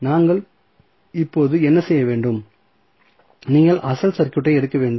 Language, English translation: Tamil, So, what we have to do now, you have to take the original circuit